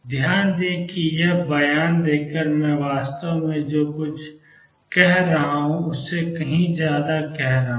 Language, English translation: Hindi, Notice by making that statement I am actually saying much more than what I just state it